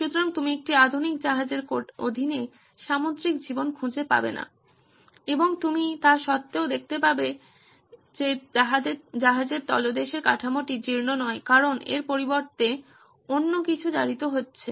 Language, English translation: Bengali, So you would not find marine life under the hull of a modern ship and you would still find that the bottom hull is not corroding because something else is corroding instead